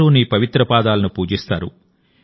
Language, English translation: Telugu, All worship your holy feet